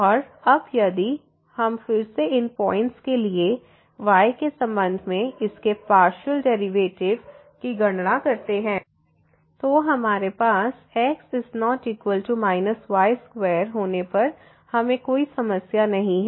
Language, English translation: Hindi, And now, if we compute now again the partial derivative of this with respect to for those points where we have we do not have any problem when is not equal to square